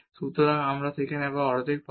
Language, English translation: Bengali, So, we will get half there